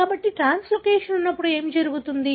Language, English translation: Telugu, So, when there is translocation, what happens